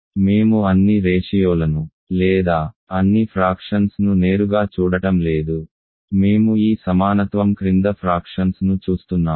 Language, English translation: Telugu, So, we are not looking at all ratios or all fractions directly, we are looking at fractions under this equality